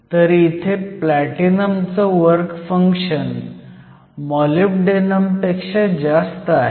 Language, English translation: Marathi, So, here we see the platinum has a higher work function then molybdenum